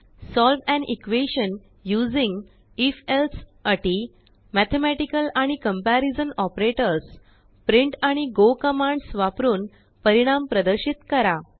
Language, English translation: Marathi, Solve an equation using if else condition Mathematical and comparision operators Display the results using print and go commands